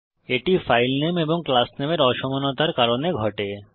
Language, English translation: Bengali, It happens due to a mismatch of file name and class name